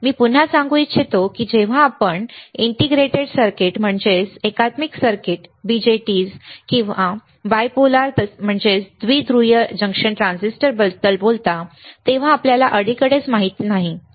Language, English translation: Marathi, Let me again say that you know recently when we talk about integrated circuits BJTs or Bipolar Junction Transistors are not useful anymore